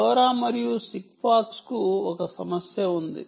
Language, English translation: Telugu, lora and sigfox have a problem